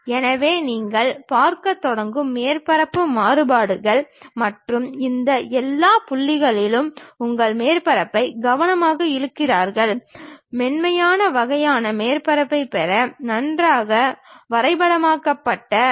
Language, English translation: Tamil, So, that surface variations you start seeing and you carefully pull your surface in all these points, nicely mapped to get a smooth kind of surface